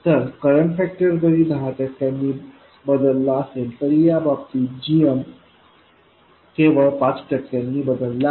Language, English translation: Marathi, So although the current factor changes by 10% GM changes only by 5% in this case